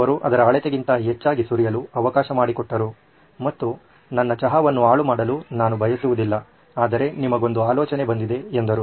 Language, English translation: Kannada, He let him pour even more than my level, I don’t want to ruin my tea but you get the idea